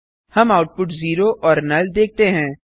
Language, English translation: Hindi, We see the output zero and null